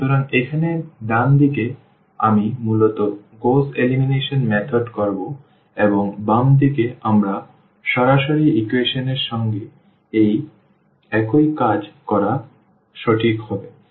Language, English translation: Bengali, So, the right hand side here I will be basically doing precisely what we do in Gauss elimination method and the left hand side we will be doing the same thing with the equations directly